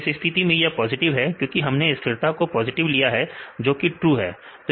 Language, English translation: Hindi, So, in this case is positive because we taken or considered stabilizing as positive that is true